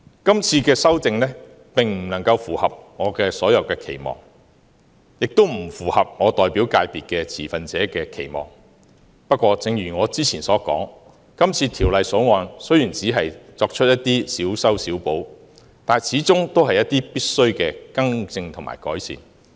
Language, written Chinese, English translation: Cantonese, 今次修訂並不能符合我所有的期望，也不符合我代表界別的持份者的期望，不過，正如我之前所說，《條例草案》雖然只是作出一些小修小補，但始終是一些必需的更正和改善。, The amendments proposed this time do not meet all of my expectations and those of the stakeholders of the FC which I represent . However as I said earlier although the Bill has only made patchy fixes the rectifications and improvements proposed are necessary